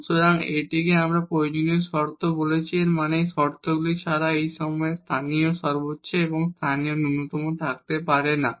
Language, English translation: Bengali, So, this is what we are calling necessary conditions; that means, without these conditions we cannot have the local maximum and local minimum at this point